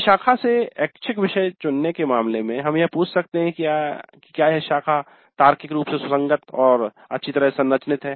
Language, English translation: Hindi, In the case of stream based electives we can ask whether the stream is logically coherent and well structured